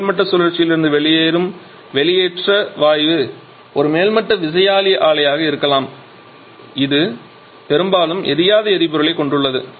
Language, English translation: Tamil, It refers that the exhaust gas that is coming out of the topping cycle may be a topping gas turbine plant that quite often has some amount of unburned fuel left in it